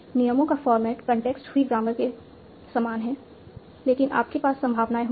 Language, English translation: Hindi, The rules have the same form as in contextary grammar, but each rule has a probability